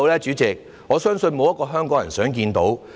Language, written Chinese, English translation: Cantonese, 主席，我相信沒有一個香港人想看到。, President I believe not a single Hongkonger wants to see this